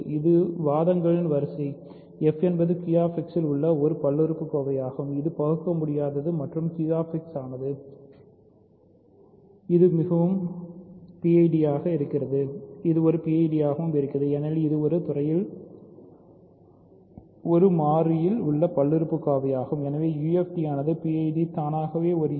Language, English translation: Tamil, This is the sequence of arguments: f is a polynomial in Q X which is irreducible and Q X is so, this is and a PID because it is a polynomial in one variable over a field so, hence a UFD because the PID is automatically a UFD